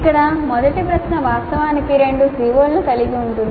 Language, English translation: Telugu, So here if you see the first question actually has two COs covered by that